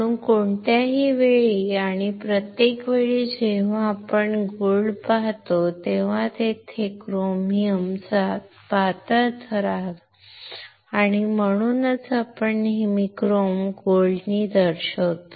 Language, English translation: Marathi, So, any time and every time when you see there is a gold, there is a thin layer of chromium, that is why we always denote chrome gold